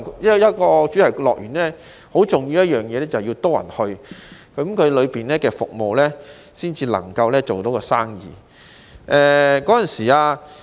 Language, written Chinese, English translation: Cantonese, 一個主題樂園最重要的就是要有多些訪客，園內的服務才能做到生意。, The most important thing for a theme park is to have more visitors so that the services in the park will be patronized